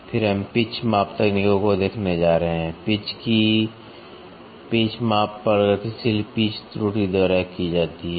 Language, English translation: Hindi, Then we are going to see the pitch measurement techniques, pitch measure of pitch is done by progressive pitch error